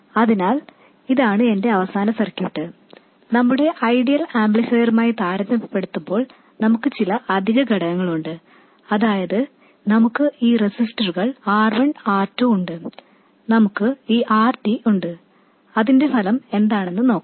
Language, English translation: Malayalam, We do have some extra components compared to our ideal amplifier, that is we have these resistors R1, R2 and we have this RD